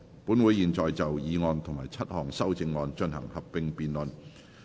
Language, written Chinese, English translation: Cantonese, 本會現在就議案及7項修正案進行合併辯論。, This Council will now proceed to a joint debate on the motion and the seven amendments